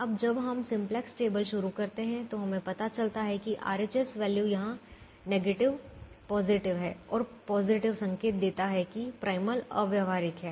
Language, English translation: Hindi, now, when we start the simplex table, we realize that the right hand side values are positive, negative here and positive, indicating that the primal is infeasible